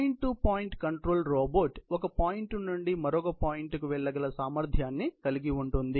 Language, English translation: Telugu, So, the point to point robot is capable of moving from one point to another point